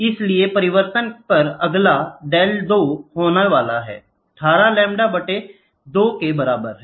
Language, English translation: Hindi, So, next one on the change is going to be del 2 is equal to 18 lambda by 2, ok